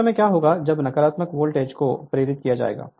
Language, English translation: Hindi, So, at that time what will happen that when negative voltage will be induced